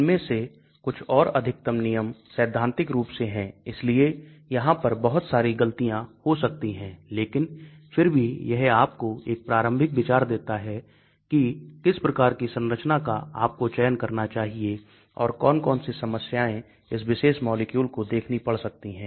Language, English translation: Hindi, Some of these are or most of them are theoretical in nature so there is going to be lot of errors, but still it gives you a first hand idea about what type of structures to select and which are the issues that particular molecule may face